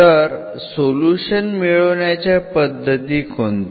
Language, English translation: Marathi, So, what are the solution methods